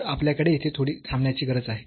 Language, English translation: Marathi, So, do we need to wait a little bit here